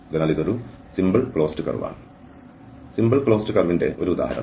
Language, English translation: Malayalam, So, this is a simple closed curve, an example of a simple closed curve